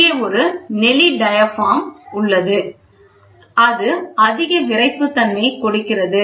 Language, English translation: Tamil, And here is a corrugated diaphragm so, that it adds more stiffness, right